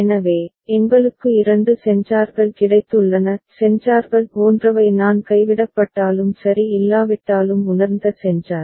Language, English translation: Tamil, So, we have got two sensors; sensors are such that I is the sensor which just senses if anything is dropped or not ok